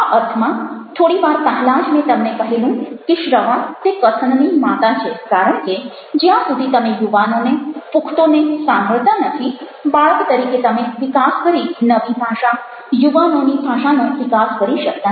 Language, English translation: Gujarati, and ah, in that sense, little earlier i already shared with you how listening is the mother of all speaking, because unless you listen to young, to the adults, the, you are not able to grow up as a child and the new language, the language of the adults